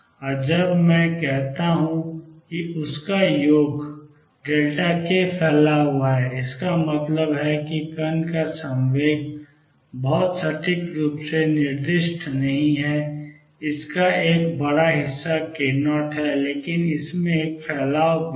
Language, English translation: Hindi, And when I say that their sum is spread delta k; that means, momentum of the particle is not specified very precisely a large chunk of it is k 0, but there is also a spread in it